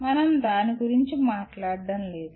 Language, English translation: Telugu, We are not going to talk about that